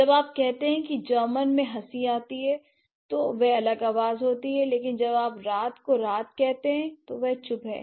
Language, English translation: Hindi, So, when you say laugh in German, that's going to be a different sound but then when you say light and night, G